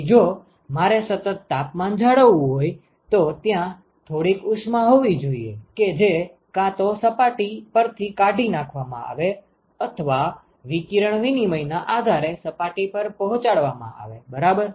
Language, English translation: Gujarati, So, if I want to maintain at a constant temperature, then there has to be some amount of heat that is either removed from the surface or supplied to the surface depending upon the radiation exchange ok